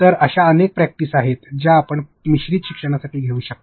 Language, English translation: Marathi, So, there are so many practices with which you can taken for blended learning